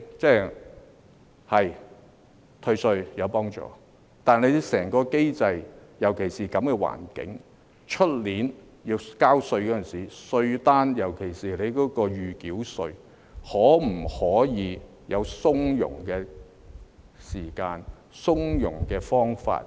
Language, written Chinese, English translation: Cantonese, 對，退稅是有幫助的，但就整個機制而言，尤其是在這樣的環境下，明年要交稅時，稅單上，特別是預繳稅方面，可否提供從容的時間、從容的方法？, Therefore Chairman looking back now I agree that tax refunds do help but as far as the whole mechanism is concerned specifically in an environment like this is it possible for next years tax demand notes to allow ample time and hassle - free ways to pay taxes particularly the provisional tax?